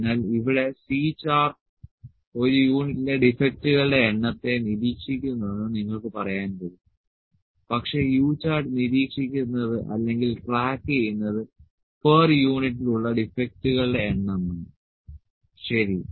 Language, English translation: Malayalam, So, here as like you can say that C chart monitors the number defects in one unit, but U chart monitors or track the number defects per unit, u chart monitors number of defects per unit, ok